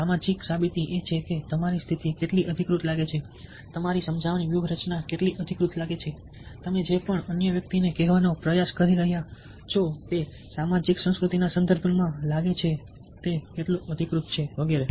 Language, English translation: Gujarati, social proof is about how authentic your condition seem, how authentic your persuasive strategy seems, how authentic whatever you are trying to tell the other person seems be with in a social, cultural context